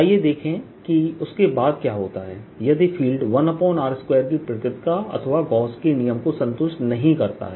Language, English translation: Hindi, let's see what happens after that if the field is not one over r square or gauss's law is not satisfied